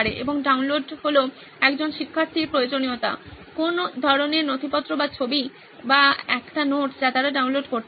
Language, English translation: Bengali, And download would be with respect to the requirement of a student, what kind of a document or a image or a note they want to download